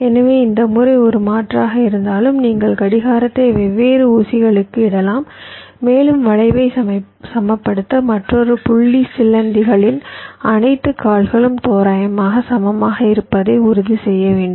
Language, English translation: Tamil, so, although this method is is an alternative where you can layout the clock to different pins and means, and again, another point, to balance skew, you have to ensure that all the legs of the spiders are approximately equal